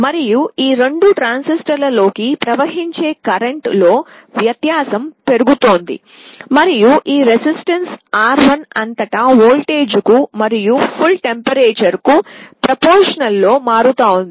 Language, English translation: Telugu, And the difference in the currents that are flowing into these two transistors is amplified and the voltage across this resistance R1, is actually becoming proportional to the absolute temperature